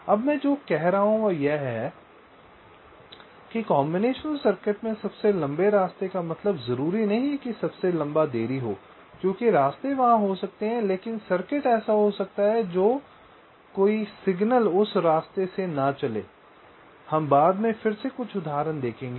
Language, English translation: Hindi, now what i am saying is that the longest path in the combinational circuit need not necessarily mean the longest delay, because there are may be path, but the circuit may be such that no signal will follow through that path